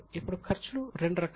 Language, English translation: Telugu, Now expenses are also of two type